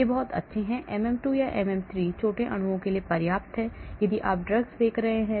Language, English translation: Hindi, these are very good, MM2 or MM3, is good enough for small molecules, if you are looking at drugs